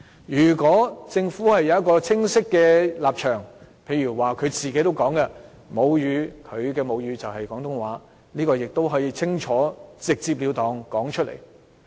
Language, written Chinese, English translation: Cantonese, 如果政府有清晰的立場，例如局長也表示其母語是廣東話，他可以直截了當地說出來。, If the Government has a clear stance for instance the Secretary has indicated that Cantonese is his mother tongue he can directly tell us